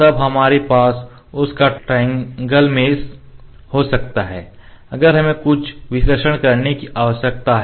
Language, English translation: Hindi, Then we can have the triangle mesh of that; if we need to do some analysis